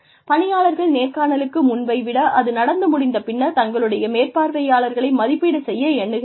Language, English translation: Tamil, Employees tend to evaluate their supervisors, less favorably, after the interview, than before it